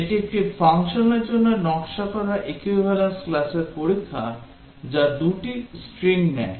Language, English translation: Bengali, This is Designed Equivalence Class Test for a function which takes 2 strings